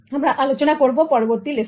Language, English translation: Bengali, I'll also continue in the next lesson